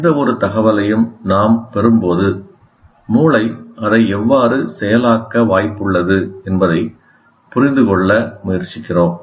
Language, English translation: Tamil, We will presently see that is when we receive any information, we try to understand how the brain is likely to process